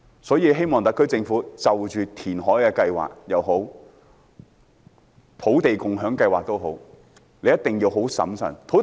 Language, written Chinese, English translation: Cantonese, 所以希望特區政府就着填海計劃也好，土地共享先導計劃也好，一定要審慎行事。, I thus hope that the SAR Government will exercise caution in either its reclamation project or the Land Sharing Pilot Scheme